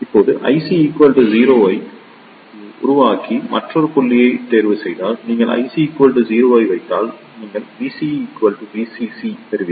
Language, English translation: Tamil, Now, if you choose the another point by making the I C equals to 0; if you put I C equals 0, you will get V CE equals to VCC